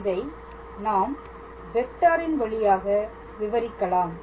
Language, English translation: Tamil, Basically, in terms of vector